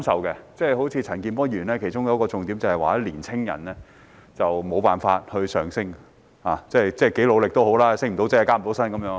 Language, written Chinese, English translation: Cantonese, 例如陳健波議員發言的其中一個重點是年青人沒有辦法向上流動，多努力也升不了職、加不了薪。, For example one of the main points in Mr CHAN Kin - pors speech is that young people are unable to move upward in society . No matter how hard they work they can get neither a promotion nor a pay rise